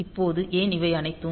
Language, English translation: Tamil, Now, why all these things